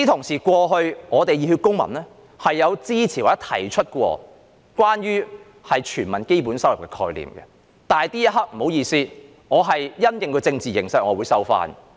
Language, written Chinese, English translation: Cantonese, 此外，熱血公民過去曾支持或提出關於全民基本收入的概念，但不好意思，因應政治形勢，這刻我會收回這番言論。, Moreover in the past the Civic Passion had supported or proposed the concept relating to universal basic income . Yet pardon me for withdrawing that remark at this moment due to the political situation